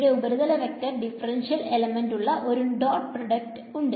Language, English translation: Malayalam, It is there is a dot product with a surface vector differential surface element